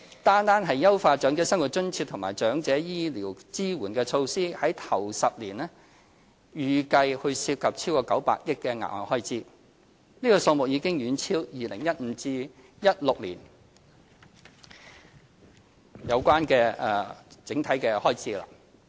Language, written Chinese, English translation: Cantonese, 單是優化長者生活津貼和長者醫療支援的措施，首10年便預計涉及超過900億元額外開支。這數目已遠超 2015-2016 年度預留的500億元。, Simply looking at the measures on enhancing OALA and health care support for the elderly we estimate an extra spending of over 90 billion in the first 10 years which is much higher than the 50 billion earmarked in 2015 - 2016